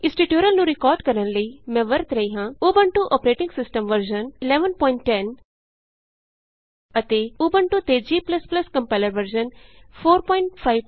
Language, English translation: Punjabi, To record this tutorial, I am using Ubuntu operating system version 11.10 and G++ Compiler version 4.5.2 on Ubuntu